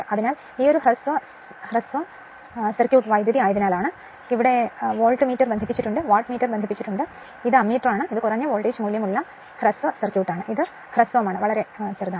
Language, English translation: Malayalam, So, this is as this is my short circuit current, this is the Voltmeter is connected, Wattmeter is connected and this is Ammeter and this is the your what you call thatlow voltage value short circuit, it is shorted right